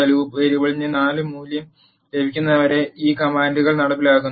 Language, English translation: Malayalam, These commands get executed until the loop variable has a value 4